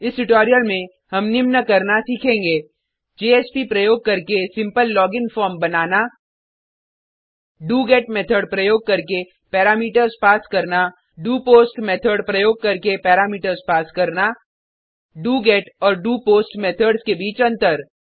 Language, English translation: Hindi, In this tutorial we have learnt to: create a simple login form using JSP Pass parameters using doGet method Pass parameters using doPost method Difference between doGet and doPost methods Please make sure that you have completed this tutorial before proceeding further